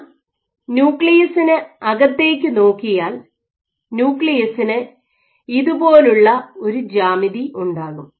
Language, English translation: Malayalam, Here if I look inside view the nucleus will have a geometry like this